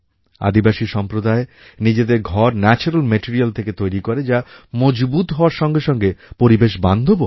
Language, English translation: Bengali, Tribal communities make their dwelling units from natural material which are strong as well as ecofriendly